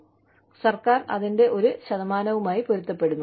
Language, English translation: Malayalam, And, the government, matches a percentage of it